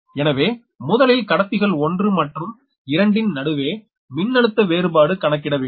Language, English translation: Tamil, so first you have to find out the potential difference between conductors one and two